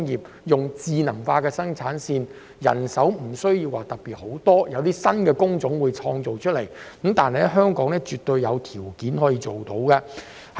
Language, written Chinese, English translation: Cantonese, 運用智能化生產線，將無須太多人手，亦可創造新工種，香港絕對有條件辦到。, The use of smart production lines will not only require less manpower but will also create new job types . Hong Kong can absolutely do so